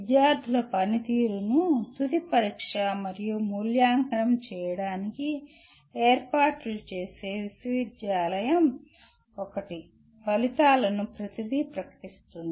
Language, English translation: Telugu, University is the one that arranges for final examination and evaluation of student performance, declaring the results everything